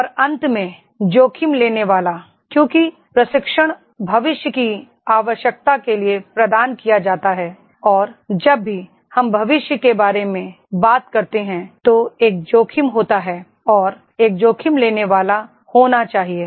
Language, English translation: Hindi, And finally the risk taker, because the training is provided for the future requirement and whenever we talk about future there is a risk and one should be risk taker